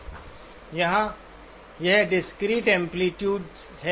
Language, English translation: Hindi, Here it is discrete amplitudes